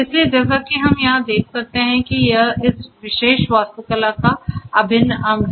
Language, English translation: Hindi, So, as we can see over here this is the integral part in this particular architecture